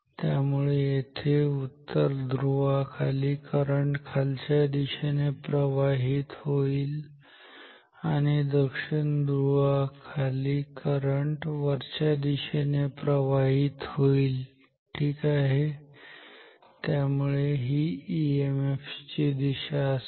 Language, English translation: Marathi, So, here below the north pole current is flowing downwards and below the south pole current is flowing upwards ok, so this is the direction of EMF